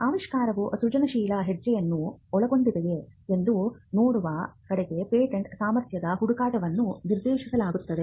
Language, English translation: Kannada, Patentability searches are directed towards seeing whether an invention involves an inventive step